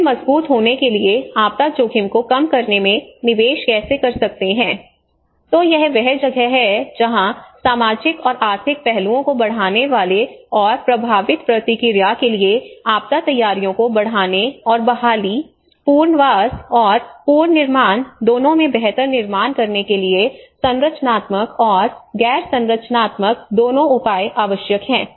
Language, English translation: Hindi, Then investing in disaster risk reduction for resilience so this is where both the structural and non structural measures are essential to enhance the social and economic aspects and enhance disaster preparedness for effective response and to build back better into both recovery, rehabilitation and reconstruction